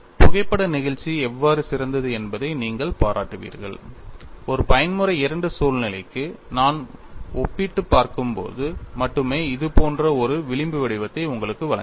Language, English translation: Tamil, You will appreciate, how photo elasticity is good, only when I take a comparison for a mode 2 situation it gives you a fringe pattern something like this